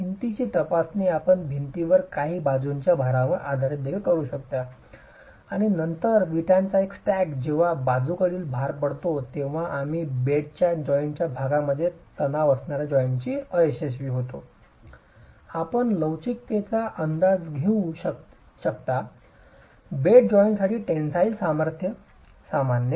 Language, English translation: Marathi, You can also do a wall test, subject the wall to some lateral loads, and then the single stack of bricks when subject to lateral loads, you will have failure of the joint with tension occurring normal to the bed joint